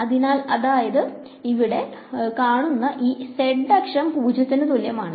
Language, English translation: Malayalam, So, if this is the z axis over here then and let say this is z equal to 0